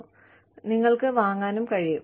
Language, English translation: Malayalam, And, you can also buy it